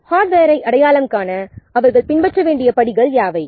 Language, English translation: Tamil, What are the steps they must be followed to identify the hardware